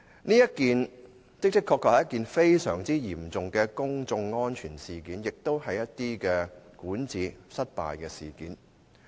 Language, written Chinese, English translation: Cantonese, 這次事件的確非常嚴重，涉及公眾安全，亦關乎管治失效。, This incident is really very serious as public safety and ineffective governance are involved